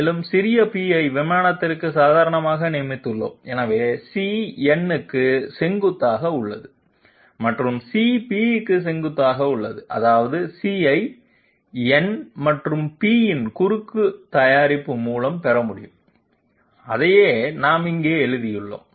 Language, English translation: Tamil, And we have designated small p as a normal to the plane, so C is perpendicular to to n and C is also perpendicular to p, which means that C can be obtained by cross product of n and p and that is what we have written here